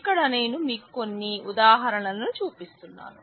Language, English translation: Telugu, So, here I am just showing you some examples